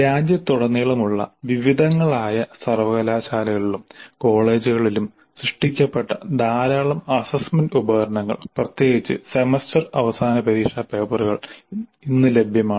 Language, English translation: Malayalam, Now looking at a large number of assessment instruments generated in a wide variety of universities and colleges across the country, particularly the semester and exam papers are available across many institutes